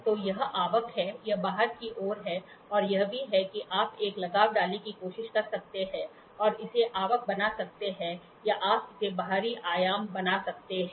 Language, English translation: Hindi, So, this is inward, this is outward and this is also you can try to put an attachment and make it inward or you can make it outward, outward dimensions